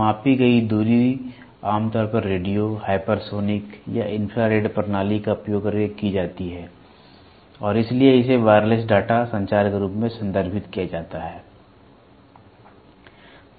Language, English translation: Hindi, The distance measured is usually performed using radio, hypersonic or infrared systems and hence referred as a wireless data communication